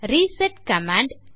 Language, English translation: Tamil, using the commands